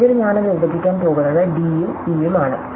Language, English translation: Malayalam, And finally, I am going to split this up is d and e